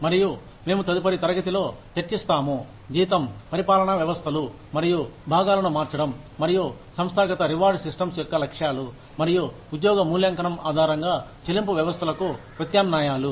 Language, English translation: Telugu, And, we will discuss, changing salary administration systems and components, and objectives of organizational rewards systems, and the alternatives to pay systems based on job evaluation, in the next class